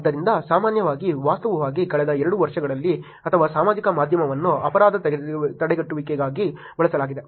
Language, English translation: Kannada, So, in general, actually in the last two years or so social media has been used for crime prevention